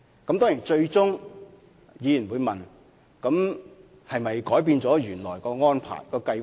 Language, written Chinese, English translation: Cantonese, 當然，議員最終會問：政府是否改變了原來的安排和計劃？, Of course Members may finally ask Has the Government changed its original arrangement and plan?